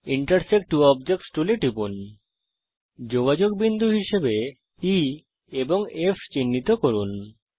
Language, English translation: Bengali, Click on the Intersect two objects tool Mark points of contact as E and F